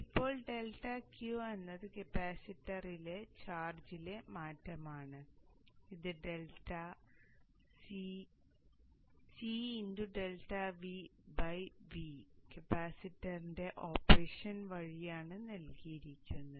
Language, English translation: Malayalam, Now, delta Q or the change in the charge in the capacitor, is given given by C delta V by the physics of the operation of the capacitor